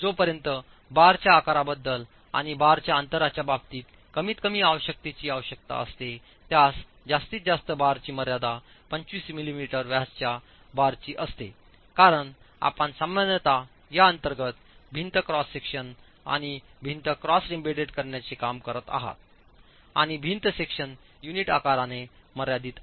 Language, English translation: Marathi, The maximum size of reinforcement bars that's permitted is 25 mm, 25 millimeters diameter bars because you typically are working with embedding this inside wall cross sections and the wall cross sections are limited by unit sizes